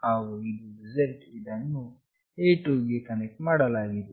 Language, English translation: Kannada, And this one is z that is connected to A2